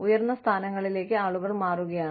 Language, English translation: Malayalam, People are moving into senior positions